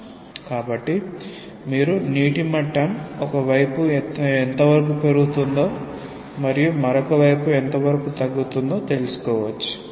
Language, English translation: Telugu, So, you can find out that what is the extent to which the water level will rise on one side and maybe fall on the other side